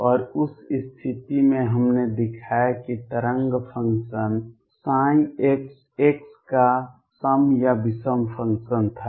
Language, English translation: Hindi, And in that case we showed that the wave function psi x was either even or odd function of x